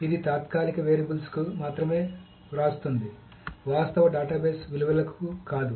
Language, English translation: Telugu, So it only writes to temporary variables, not to the actual database values